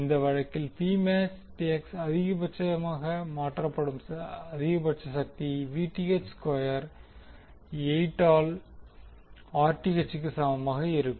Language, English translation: Tamil, In this case P max the maximum power which would be transferred would be equal to Vth square by 8 into Rth